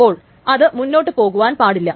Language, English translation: Malayalam, So that means it should not proceed